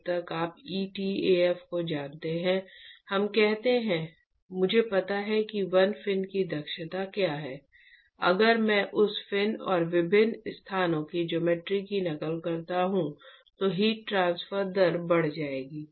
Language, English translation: Hindi, As long as you know etaf, let us say, I know what is the efficiency of 1 fin would the heat transfer rate increase if I duplicate the geometry of that fin and different locations